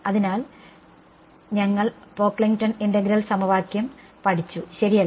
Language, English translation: Malayalam, So, we have studied Pocklington integral equation right